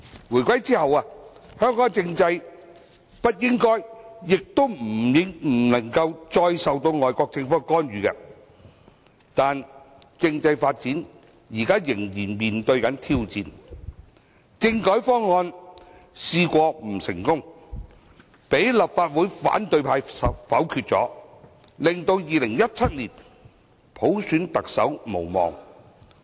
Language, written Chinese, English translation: Cantonese, 回歸後，香港政制不應該亦不能夠再受外國政府干預，但政制發展仍會面對挑戰，政改方案不成功，被立法會反對派否決，令2017年普選特首無望。, After the reunification Hong Kongs political system should not and cannot be intervened by foreign governments; yet the political development is still riddled with challenges . The constitutional reform proposal was vetoed by the opposition camp in the Legislative Council making it impossible for the Chief Executive to be elected by universal suffrage in 2017